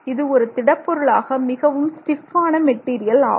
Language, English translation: Tamil, So, as a solid material that's a very strong material